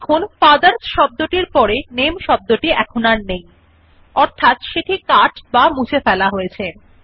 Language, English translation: Bengali, Notice that the word NAME is no longer there next to the word FATHERS, which means it has be cut or deleted